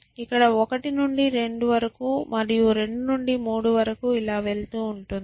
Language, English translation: Telugu, Here you go for 1 to 2 and 2 to 3 and so on so forth